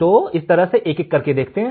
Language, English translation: Hindi, So, let us see this one by one